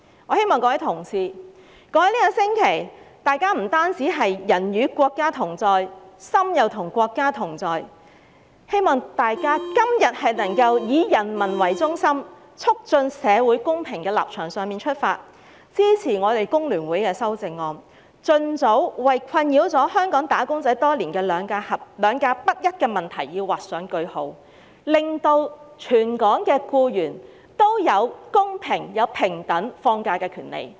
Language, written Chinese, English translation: Cantonese, 我希望各位同事在過去一星期"人與國家同在、心亦與國家同在"的同時，今天亦能從"以人民為中心，促進社會公平"的立場出發，支持我們工聯會的修正案，盡早為困擾香港"打工仔"多年的"兩假不一"問題劃上句號，令全港僱員都有公平、平等放假的權利。, While some Honourable colleagues were with the country both physically and mentally in the past week I hope that they can support the amendments proposed by FTU today from the perspective of being people - centred and promoting social justice so as to put an end to the disparity between GHs and SHs as soon as possible thereby giving all local employees equal and fair holiday entitlements